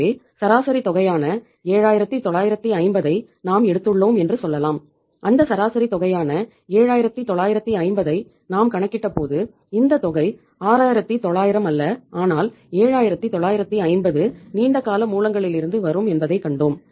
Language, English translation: Tamil, So we can say that we have taken the average amount that is 7950 and when we worked out that average amount of 7950 we saw that this amount, not 6900 but 7950 will come from the long term sources